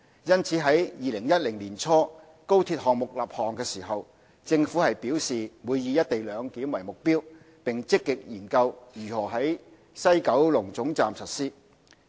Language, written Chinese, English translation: Cantonese, 因此，在2010年年初高鐵項目立項時，政府表示會以"一地兩檢"為目標，並積極研究如何在西九龍總站實施。, Therefore when the XRL project was established in early 2010 the Government stated its target to implement co - location of CIQ facilities and has been actively examining how it can be implemented at the WKT